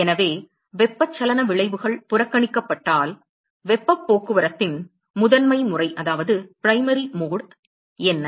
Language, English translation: Tamil, So, if convection effects are ignored, what is the primary mode of heat transport